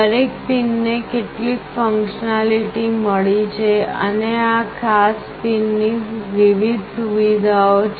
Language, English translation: Gujarati, Each of the pins has got certain functionalities and there are various features of this particular pin